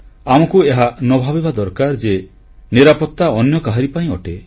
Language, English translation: Odia, Let us not think that safety is only meant for someone else